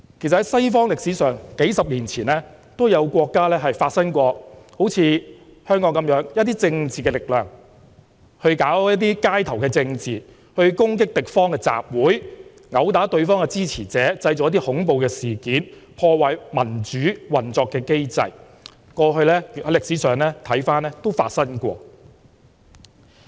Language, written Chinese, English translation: Cantonese, 主席，在西方歷史上，幾十年前也有國家好像香港一樣，一些政治力量搞街頭政治、攻擊敵方的集會、毆打對方的支持者、製造恐怖、破壞民主運作的機制，過去歷史上亦曾發生過。, President in the history of the western world a few decades ago there were countries which resembled the Hong Kong of today . The situation of political forces engaging in street politics attacking the assemblies of their opponents and beating up their supporters engaging in terrorism and disrupting the mechanism of democratic operation had happened before